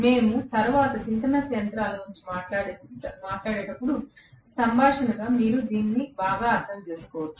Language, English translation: Telugu, As a converse you may understand it better, when we talk about synchronous machines later